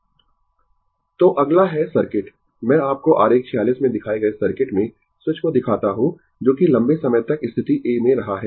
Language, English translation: Hindi, So, next is, next is circuit, I will show you the switch in the circuit shown in figure 46 has been in position A for a long time